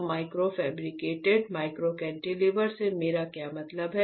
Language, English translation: Hindi, So, what I mean by a micro fabricated micro cantilever